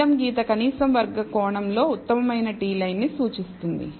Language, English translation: Telugu, The blue line represents the best t line in the least square sense